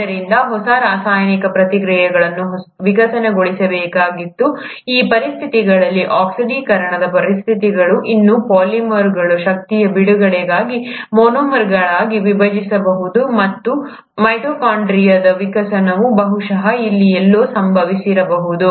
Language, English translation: Kannada, So the new set of chemical reactions had to evolve which under these conditions, oxidizing conditions could still breakdown polymers into monomers for release of energy, and that is somewhere here probably, that the evolution of mitochondria would have happened